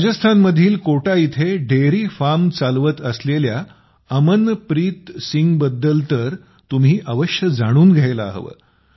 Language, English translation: Marathi, You must also know about Amanpreet Singh, who is running a dairy farm in Kota, Rajasthan